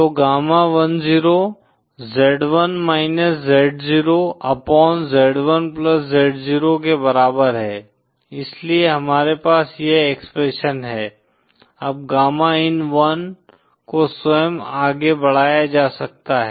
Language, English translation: Hindi, So gamma10 equal to z1 z0 upon z1+z0, so we have this expression, now gamma in1 can itself be further expanded